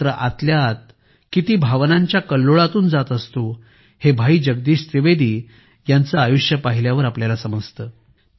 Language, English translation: Marathi, But how many emotions he lives within, this can be seen from the life of Bhai Jagdish Trivedi ji